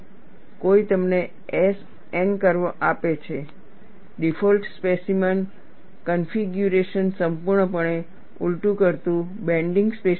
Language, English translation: Gujarati, Somebody gives you the S N curve, the default specimen configuration is fully reversed rotating bending specimen